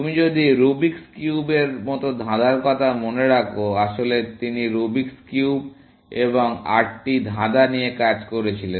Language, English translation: Bengali, If you remember the puzzle like Rubics cube, in fact, he was working on Rubics cube and the eight puzzles